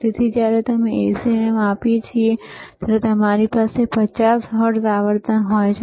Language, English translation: Gujarati, So, when we measure the AC, you have 50 hertz frequency